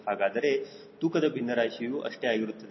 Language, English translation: Kannada, so weight fraction will be also same